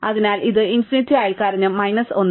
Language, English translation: Malayalam, So, this is infinity and neighbour is minus 1